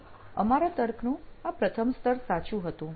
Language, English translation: Gujarati, So this our first level of reasoning was true